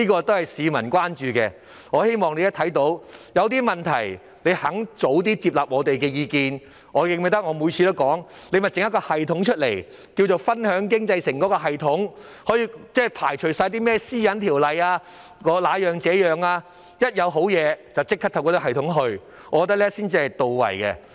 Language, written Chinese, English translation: Cantonese, 這是市民關注的問題，如果當局願意接納我們的意見，我認為政府可以透過一個稱為"分享經濟成果"的系統處理，無須考慮是否符合《個人資料條例》的要求，我認為這樣做才稱得上是到位。, This is a public concern . If the Government is willing to accept our views I think it can use a system to share the fruit of economic success without having to consider whether the requirements of the Personal Data Privacy Ordinance are met . I believe this is the appropriate approach